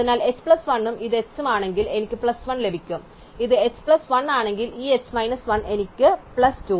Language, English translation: Malayalam, So, if is h plus 1 and this is the h then I get plus 1, if it is h plus 1 this h minus 1 I get plus 2